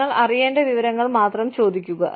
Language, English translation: Malayalam, Ask only for information, that you need to know